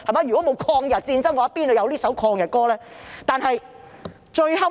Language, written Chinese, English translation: Cantonese, 如果沒有抗日戰爭，怎會有這首抗日歌曲？, How could this anti - Japanese song come about if the Anti - Japanese War has not taken place?